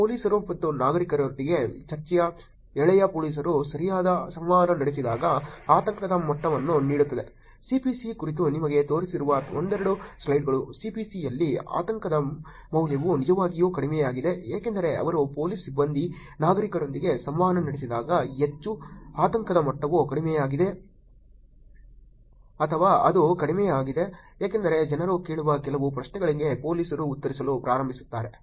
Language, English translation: Kannada, Discussion thread with police and citizens where gives the level of anxiety when police talks interacting right, a couples of slides back showing you about C P C, in C P C the value for anxiety is actually lower is just because that they, when police staffs interacting the citizens tend to be more, anxious level being it is lower or it tends to be lower because police starts actually answering some of the questions that people are asking